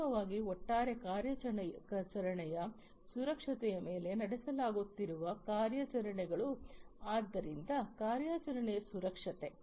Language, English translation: Kannada, And finally, overall the operations that are being carried on security of the operation, so operational security